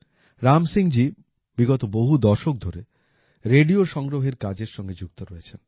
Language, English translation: Bengali, Ram Singh ji has been engaged in the work of collecting radio sets for the last several decades